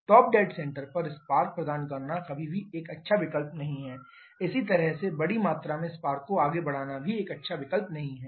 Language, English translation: Hindi, Providing spark at top dead center is never a good option similarly advancing the spark by large amount that is also not a good option